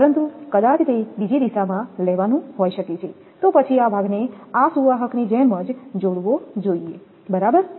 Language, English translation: Gujarati, But taking in another direction may be, then this portion should be connected like this conductor right